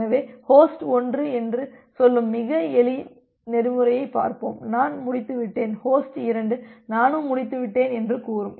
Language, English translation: Tamil, So, let us look into a very simple protocol that host 1 will say that, I am done; host 2 will say that I am done too